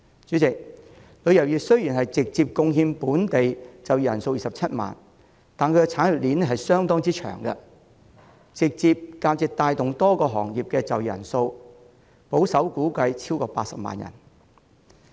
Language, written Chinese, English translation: Cantonese, 主席，旅遊業直接僱用的本地就業人數雖然只有27萬人，但其產業鏈相當長，直接或間接帶動多個行業的就業人數保守估計超過80萬人。, President while the tourism industry has directly employed only 270 000 workers of the local labour force its service chain is rather long which according to conservative estimates has directly and indirectly facilitated the employment of more than 800 000 people in a number of sectors